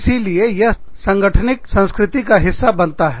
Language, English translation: Hindi, So, that forms, a part of the organization's culture